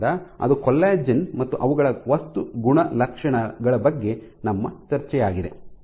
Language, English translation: Kannada, So, that is about it for our discussion of collagen and their material properties